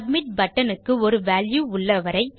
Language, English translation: Tamil, As long as the submit button has a value...